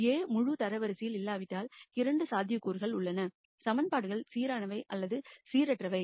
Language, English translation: Tamil, If A is not full rank there are 2 possibilities either the equations are consistent or inconsistent